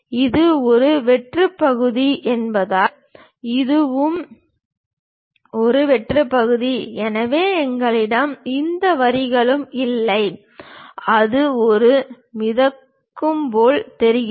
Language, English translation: Tamil, And because this is a hollow portion, this is also a hollow portion; so we do not have any lines there, it just looks like floating one